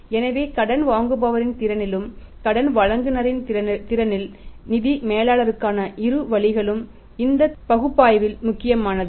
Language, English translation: Tamil, So, in the capacity of a borrower also in the capacity of a lender also both ways for the finance manager this analysis is important this analysis is useful